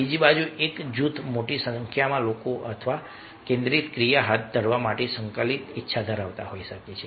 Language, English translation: Gujarati, on the other hand, a group can come from having a large number of people are a cohesive willingness to carry out a focused action